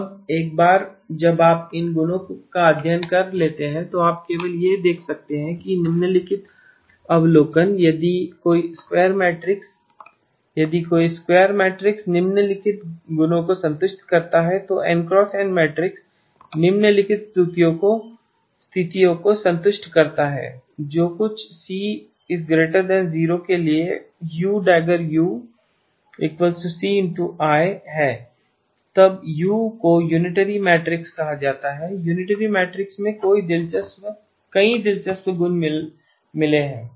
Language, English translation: Hindi, Now once you study these properties can just note down that the following observations if a square matrix if any square matrix satisfies the following properties N x N matrix satisfies the following conditions which is u dagger u is equal to constant times the identity matrix